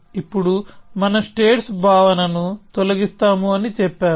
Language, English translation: Telugu, So, now, we have said that we are doing away with the notion of states at all